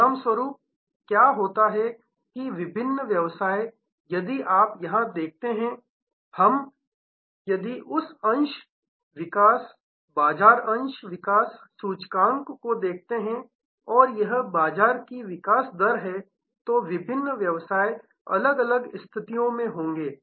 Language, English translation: Hindi, As a result, what happens is that different businesses, if you see here if we see that share development, market share development index and this is the market growth rate, then the different businesses will be at different points